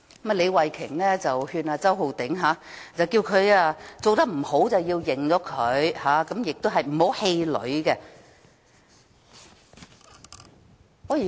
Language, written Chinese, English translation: Cantonese, 李慧琼議員勸周浩鼎議員，做得不好便要承認，而且不要氣餒。, Ms Starry LEE advised Mr Holden CHOW to admit if he has not done his job well and that he should not be discouraged